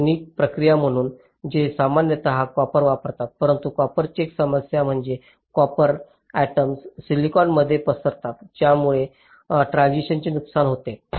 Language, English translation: Marathi, but one problem with copper is that the copper atoms they tend to diffuse into silicon, thereby damaging the transistor